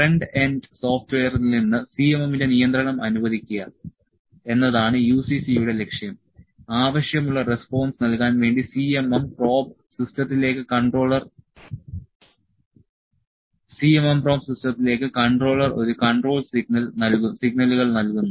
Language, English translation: Malayalam, The purpose of UCC is to permit the control of CMM from the front end software, the controller provides a control signals to CMM probe system necessary to give the required response